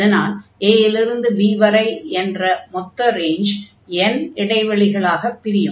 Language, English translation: Tamil, So, we have divided the whole range a to b into n intervals